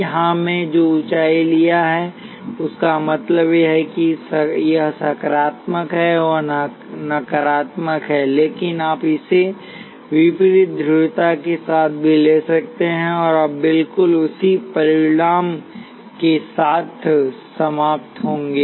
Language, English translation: Hindi, Here I have taken the height that is gained so that means that this is positive and that is negative, but you could also take it with opposite polarity and you will end up with exactly the same result